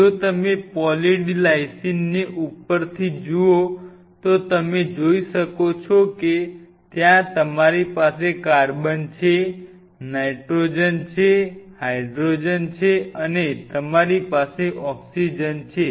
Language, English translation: Gujarati, If you look at Poly D Lysine from top you can see you will have carbon you will have nitrogen of course, you have hydrogen these are mostly what will be and of course, you will have oxygen right